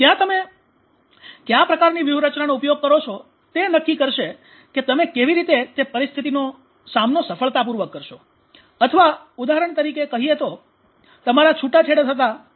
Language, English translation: Gujarati, So that will decide how successfully you will cope with that situation or say for examples you just escaped from a divorce